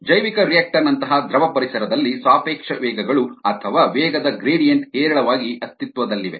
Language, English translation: Kannada, in a fluid environment, such as in a bioreactor, relative velocities or velocity gradients exist in abundance